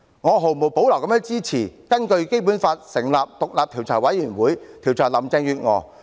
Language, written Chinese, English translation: Cantonese, 我毫無保留地支持根據《基本法》成立獨立調查委員會，調查林鄭月娥。, I have no reservation whatsoever about supporting the forming of an independent investigation committee under the Basic Law to investigate Carrie LAM